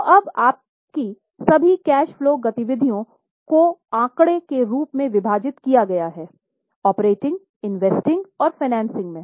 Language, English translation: Hindi, So now in the form of figure, all the cash flow activities are divided into operating, investing, financing